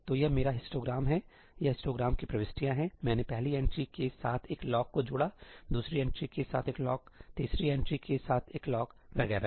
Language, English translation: Hindi, this is my histogram; these are the entries of the histogram; I associated a lock with the first entry, a lock with the second entry, a lock with the third entry and so on